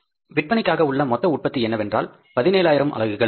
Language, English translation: Tamil, So, total production available for the sales is 17,000 units